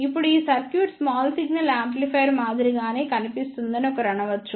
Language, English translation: Telugu, Now, one may say that this circuit look similar to the small signal amplifier